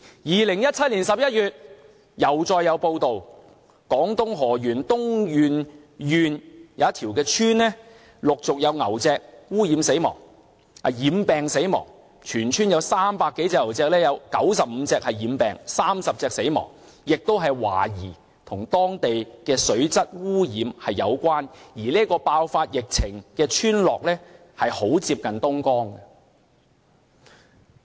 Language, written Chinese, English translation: Cantonese, 2017年11月，又再有報道，廣東河源東源縣一條村落陸續有牛隻染病死亡，全村300多隻牛中有95隻染病 ，30 隻死亡，亦是懷疑與當地水質被污染有關，而這個爆發疫情的村落很接近東江。, In November 2017 there was report that cattle and buffalos in a village in Dongyuan County Heyuan fell ill and died one after another . 95 out of a total of 300 cattle and buffalos fell ill and 30 died . It was suspected that the deaths were related to the contamination of the water and the location of the village was very close to the Dongjiang